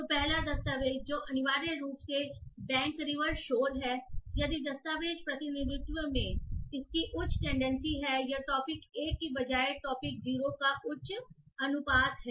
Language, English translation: Hindi, So the first document which is essentially bank river shore water, the document representation has a higher tendency to or has a higher proportion of topic 0 rather than topic 1